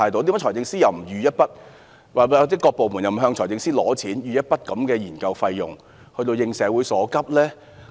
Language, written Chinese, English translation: Cantonese, 為何財政司司長又不預留一筆款項，或各部門又不向財政司司長申請一筆研究費用以應社會所急？, Why has the Government adopted such a passive attitude? . Why hasnt the Financial Secretary earmarked funding for this purpose or why havent the government departments applied to him for such funding in meeting the urgent needs of the society?